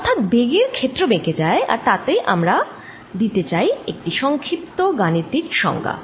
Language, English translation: Bengali, so the velocity field becomes curly and we want to give a precise mathematical definition